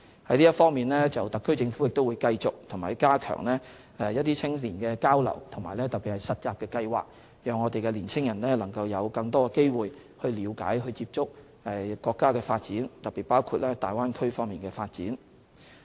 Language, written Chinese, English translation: Cantonese, 就這方面，特區政府會繼續加強青年交流，特別是實習計劃，讓青年人有更多機會了解、接觸國家發展，特別包括大灣區方面的發展。, In this regard the SAR Government will continue to enhance exchanges with young people and in particular internship schemes so as to provide young people with more opportunities to understand and be involved in the countrys development especially the development in the Bay Area